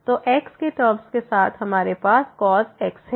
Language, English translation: Hindi, So, terms with terms with x and then we have here